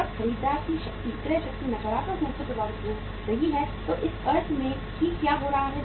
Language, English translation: Hindi, When the buyer buyers power, purchasing power is getting affected negatively, in that sense what is happening